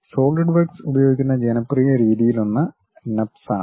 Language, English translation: Malayalam, And especially Solidworks uses a system of NURBS